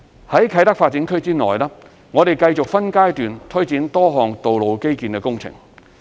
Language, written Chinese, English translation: Cantonese, 在啟德發展區內，我們繼續分階段推展多項道路基建工程。, We also continue to carry out in a progressive manner various road infrastructure works in KTD